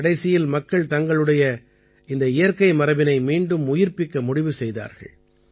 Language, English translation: Tamil, Eventually, people decided to revive this natural heritage of theirs